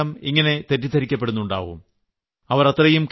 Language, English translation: Malayalam, You too must be getting similarly confused sometimes